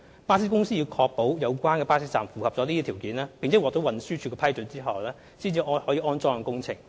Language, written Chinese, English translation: Cantonese, 巴士公司在確保有關巴士站符合上述條件，並獲得運輸署批准後，才可進行安裝工程。, Bus companies should go ahead with the installation works only after they have made sure that the above requirements have been met and an approval has been obtained from TD